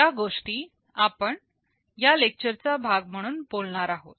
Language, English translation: Marathi, These are the things that we shall be talking as part of this lecture